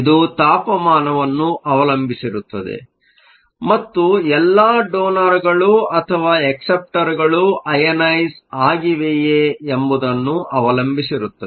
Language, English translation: Kannada, This will also depend upon the temperature and whether all the donors or acceptors are ionized